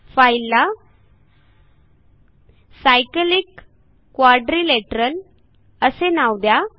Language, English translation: Marathi, Let us construct a cyclic quadrilateral